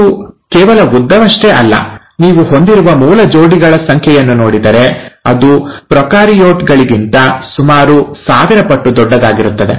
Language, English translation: Kannada, And not just long, if you look at the number of base pairs it has, it's about thousand fold bigger than the prokaryotes